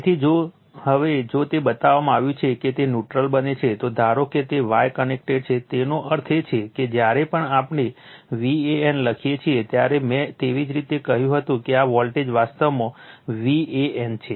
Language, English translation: Gujarati, So, if now if it is as it is shown that is neutral is formed, suppose if it is a star connected that means, just I told you whenever we write V a n that means, this voltage actually V a n right